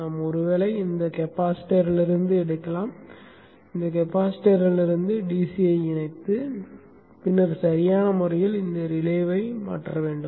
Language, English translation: Tamil, We could probably take from this capacitance, we tap the DC from this capacitance and then appropriately feed it to this relay